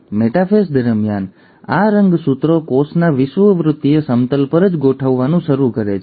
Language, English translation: Gujarati, Now during the metaphase, these chromosomes start arranging right at the equatorial plane of the cell